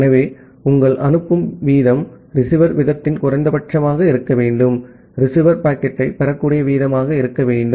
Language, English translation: Tamil, So, ideally your sending rate should be the minimum of the receiver rate, the rate at which the receiver can receive the packet